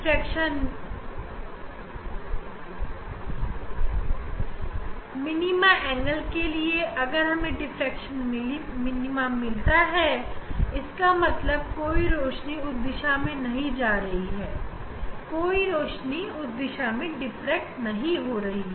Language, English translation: Hindi, this diffraction minima at that angle if we get diffraction minima; that means, no light is going in that direction no light is diffracted in that direction